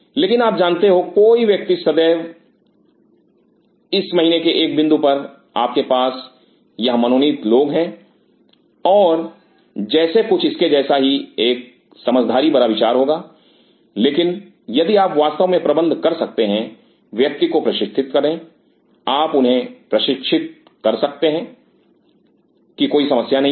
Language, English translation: Hindi, But you know one can always at 1 point this month you have these designated people and like something of sort has to be its may be a wise idea, but if you can really manage the train individual you can train them right no problem